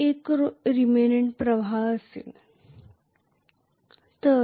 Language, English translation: Marathi, If there is a remnant flux